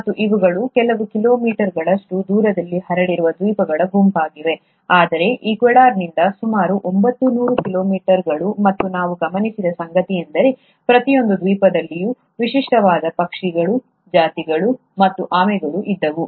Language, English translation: Kannada, And these are a group of islands which are spread across a few kilometers, very close to each other, but about nine hundred kilometers from Ecuador, and what we observed is that in each island, there were unique birds, species and tortoises and no two islands had the same kind of species